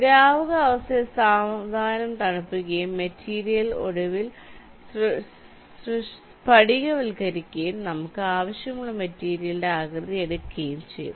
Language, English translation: Malayalam, we slowly cool the liquid state that material and the material will be finally crystallizing and will take the shape of the material that we want it to have